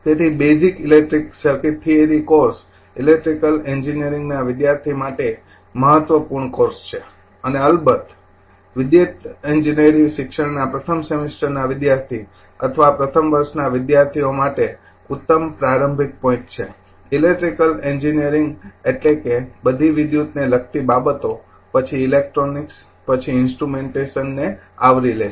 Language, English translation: Gujarati, So, therefore, the basic electric circuit theory course is your important course for an electrical engineering student and of course, and excellent starting point for a first semester student or first year student in electrical engineering education, electrical engineering means it covers all the things like electrical, then your electronics ecu call then your instrumentation